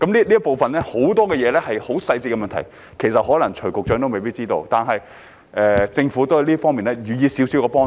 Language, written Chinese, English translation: Cantonese, 這部分有很多細緻的問題，可能徐副局長也未必知道，但政府在這方面也給予了少許幫助。, This part involves a lot of details which Under Secretary Dr CHUI may not necessarily know . Yet the Government has offered a little help in this area